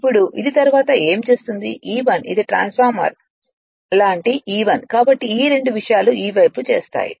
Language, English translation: Telugu, Now the next what will do next as this is E1 this is E1 like transformer so this these two things will come to this side will bring it right